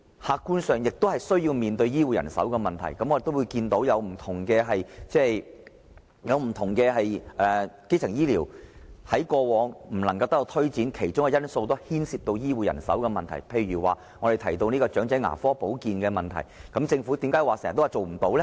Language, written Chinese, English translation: Cantonese, 客觀上，基層醫療亦要面對醫護人手的問題，我看到不同的基層醫療服務在過往不能得以推展，其中一個因素是牽涉醫護人手的問題，例如長者牙科保健的問題，政府為何經常說做不到呢？, Objectively speaking primary health care also has to face the health care manpower problem . As I have observed health care manpower problem was one of the reasons why primary health care services could not be enhanced in the past . For instance why does the Government always say that the problem of dental care service cannot be resolved?